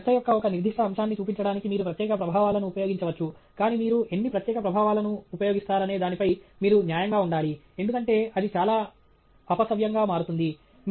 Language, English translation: Telugu, You can use special effects to highlight a particular aspect of your talk, but you should be judicious on how much special effects you use, because that can otherwise become very distracting